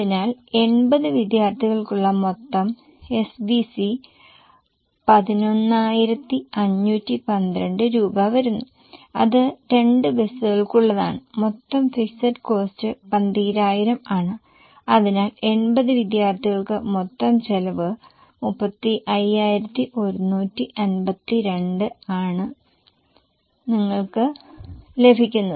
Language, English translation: Malayalam, So, total SVC for 80 students comes to 11 512 which is for two buses and total fixed cost is 12,000 which is anyway fixed so total cost is 35 2 for 80 students